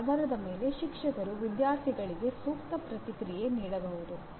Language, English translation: Kannada, Based on that the teacher can give appropriate feedback to the students